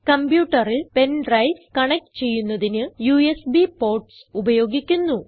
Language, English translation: Malayalam, The USB ports are used to connect pen drives to the computer